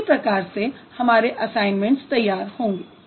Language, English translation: Hindi, That's how the assignments are going to be designed